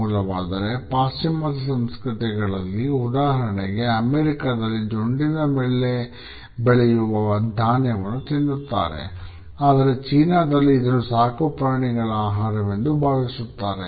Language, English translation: Kannada, Some people may be surprised to note that in western cultures, for example in America, corn on the cob is eaten whereas in China it is considered basically as a food for domestic animals